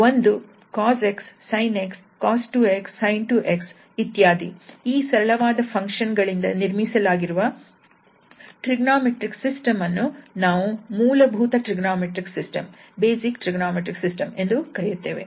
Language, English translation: Kannada, We are calling this sine cosine and so on sin 2x cos 3x, that is system with having cosine sine functions and that is called trigonometric system